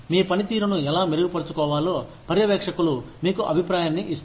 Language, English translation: Telugu, Supervisors give you feedback on, how to improve your performance